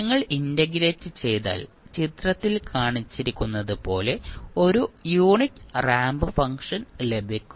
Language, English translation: Malayalam, When you integrate you will get a unit ramp function as shown in the figure